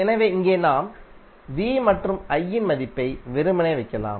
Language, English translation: Tamil, So here you can simply put the value of V and I